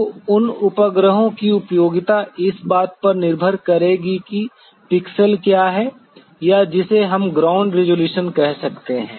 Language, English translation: Hindi, So, the utility of those satellites will be depending on what the pixel is or which we can call as the ground resolution